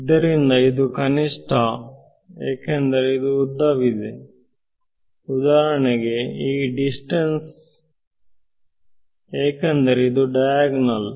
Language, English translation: Kannada, Then this is the shortest, because this is longer than for example, this distance right because it is on the diagonal